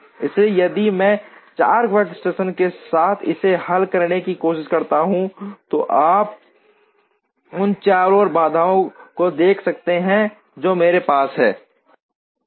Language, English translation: Hindi, So, if I try and solve it with 4 workstations, then you can see the number of variables and constraints that I will have